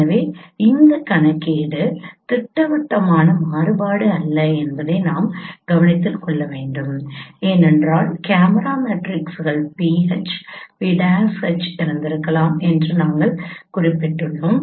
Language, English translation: Tamil, So you should note that this computation is not projective invariant because as we mentioned that your camera coordinate your camera matrices could have been pH P